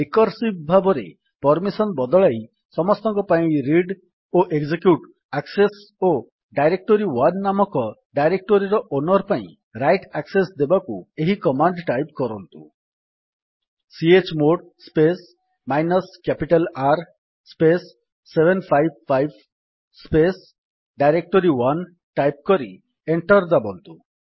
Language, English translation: Odia, To change the permission recursively and assign the read and execute access for everyone and also write access for the owner of the directory directory1, type the command: $ chmod space minus capital R space 755 space directory1 press Enter